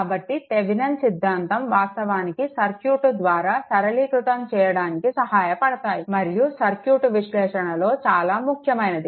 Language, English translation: Telugu, So, Thevenin theorems actually help to simplify by a circuit and is very important in circuit analysis